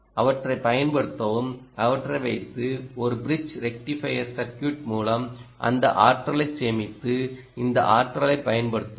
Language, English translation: Tamil, use them, put them through a bridge rectifier circuit, ah, and essentially ah, store that energy and use this energy